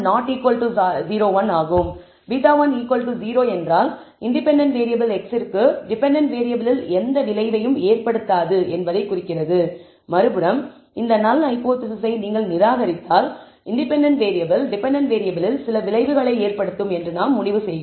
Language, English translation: Tamil, If beta 1 is equal to 0 it implies that the independent variable x has no effect on the dependent variable, but on the other hand if you reject this null hypothesis we are concluding that the independent variable does have some effect on the dependent variable